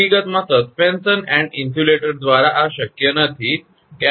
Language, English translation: Gujarati, In fact, this is not possible with suspension and insulators